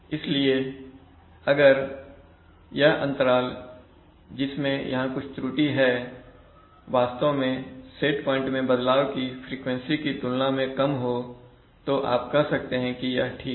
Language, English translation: Hindi, So if this interval, over which there is some error is actually small compared to the frequency of set point changes, then you can say that okay